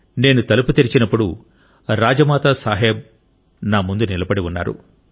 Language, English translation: Telugu, I opened the door and it was Rajmata Sahab who was standing in front of me